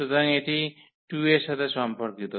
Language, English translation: Bengali, So, this is corresponding to 2